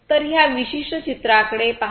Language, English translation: Marathi, So, look at this particular picture